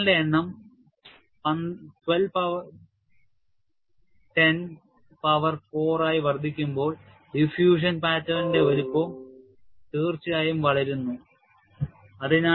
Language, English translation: Malayalam, When the number of cycles increased to 12 into 10 power 4, the size of the diffusion pattern has definitely grown